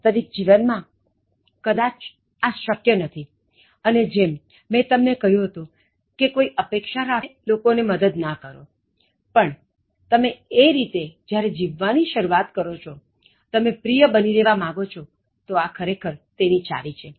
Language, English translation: Gujarati, In real life, it may not happen like that and as I said you don’t help people with any expectation, but when you start living your life like that, if you want to remain attractive, so that is the key actually